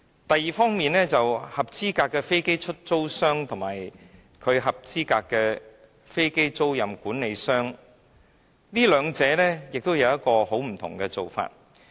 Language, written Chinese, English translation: Cantonese, 第二方面，關於合資格的飛機出租商及合資格的飛機租賃管理商，兩者的做法大有不同。, Second qualifying aircraft lessors and qualifying leasing managers actually do very different things . Qualifying aircraft lessors and qualifying aircraft leasing managers belong to two different industries